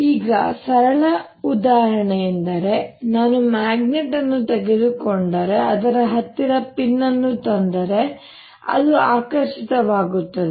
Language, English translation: Kannada, now the simplest example is if i take a magnet and bring a pin close to it, it gets attracted